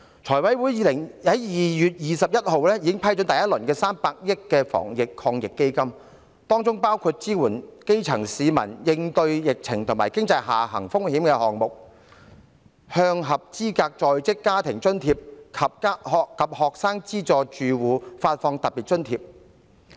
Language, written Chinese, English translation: Cantonese, 財務委員會在2月21日已批出第一輪為數300億元的防疫抗疫基金，當中包括支援基層市民應對疫情和經濟下行風險的項目，向合資格的在職家庭津貼住戶及學生資助住戶發放特別津貼。, On 21 February the Finance Committee already granted the first round of the Anti - epidemic Fund AEF in the sum of 30 billion including the disbursement of a special allowance for households eligible for Working Family Allowance and Student Financial Assistance supporting the grass roots in response to the epidemic and the downside risks of the economy